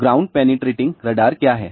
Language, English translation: Hindi, What is a ground penetrating radar